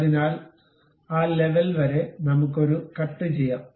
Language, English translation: Malayalam, So, up to that level we can have a cut